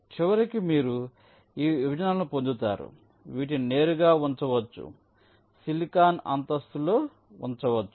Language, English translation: Telugu, at the end you will be getting these partitions which can be directly placed, placed on the silicon floor